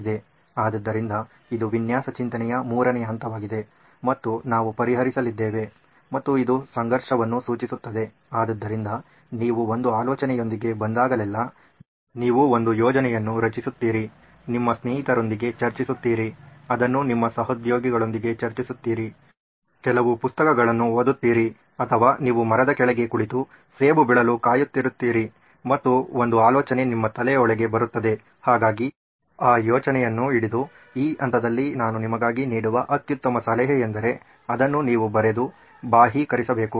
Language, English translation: Kannada, So this is the third phase of design thinking and we are going to embark on a solution and this has to address the conflict so whenever you come up with an idea, you generate an idea, discussing with your friends, discussing it with your colleagues, looking at reading up some material or you sitting under a tree and waiting for the apple to fall and an idea pops into your head, so be it grab that idea, the best piece of advice I have for you at this stage is to write it out, to externalize too